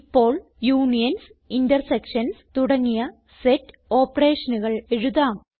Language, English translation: Malayalam, Now we can write set operations such as unions and intersections